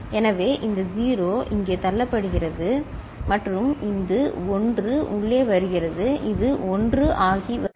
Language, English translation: Tamil, So, this 0 pushed here, this 0 is pushed here and this 1 is getting in it is becoming 1